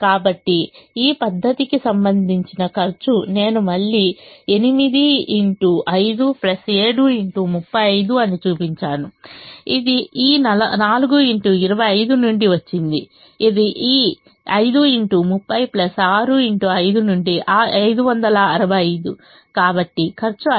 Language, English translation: Telugu, i have shown the solution again is eight into five plus seven into thirty five, which is from this four into twenty five, which is from this five into thirty plus six into five, which is five hundred and sixty five